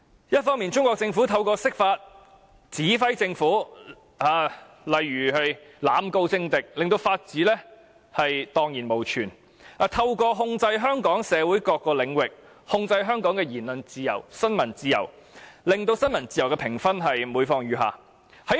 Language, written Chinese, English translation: Cantonese, 一方面，中國政府透過釋法，指揮政府例如濫告政敵，令法治蕩然無存，又透過控制香港社會各個領域，控制香港的言論自由和新聞自由，令新聞自由的評分每況愈下。, On the one hand through its interpretation of the Basic Law the Chinese Government commands the SAR Government to for example institute arbitrary prosecution against its political enemies thus ruining our rule of law . Besides through its control over various domains in Hong Kong it has tightened its grip on Hong Kongs speech and press freedoms and this has resulted in the continuous decline of our press freedom rating